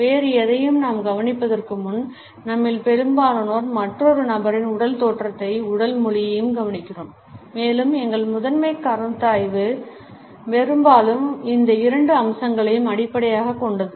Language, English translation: Tamil, Most of us notice another person’s physical appearance and body language before we notice anything else and our primary considerations are often based on these two aspects